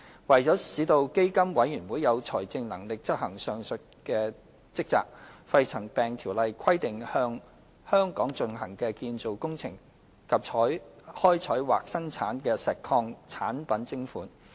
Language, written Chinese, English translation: Cantonese, 為了使基金委員會有財政能力執行上述職責，《條例》規定向在香港進行的建造工程及開採或生產的石礦產品徵款。, To finance the functions of PCFB PMCO provides for the imposition of a levy in respect of construction operations carried out in Hong Kong as well as quarry products extracted or produced